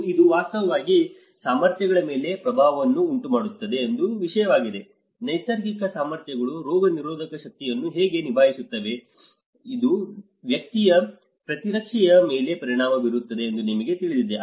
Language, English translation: Kannada, And this is one thing which is actually creating an impact on the abilities how the natural abilities to cope up the immunities, you know it is affecting the immunity of an individual and collectively as a group as well